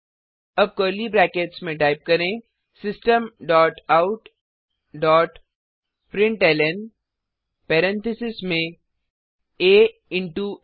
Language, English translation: Hindi, Now within curly brackets type, System dot out dot println within parentheses a into a